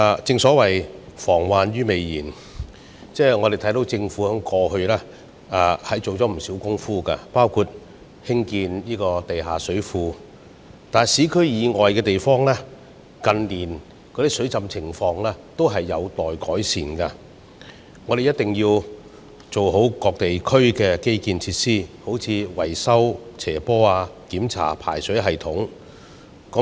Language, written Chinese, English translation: Cantonese, 正所謂防患於未然，我們看到政府過去下了不少工夫，包括興建地下水庫，但在市區以外的地方，近年的水浸情況仍有待改善，我們必須完善各地區的基建設施，例如維修斜坡，檢查排水系統等。, To prevent problems before they occur the Government has evidently made quite a lot of efforts such as building underground flood storage tanksbut in places beyond the urban area there is still room for improvement in the situation of flooding in recent years . It is necessary to improve the infrastructure facilities in various districts by for instance maintaining the slopes conducting checks on the drainage system and so on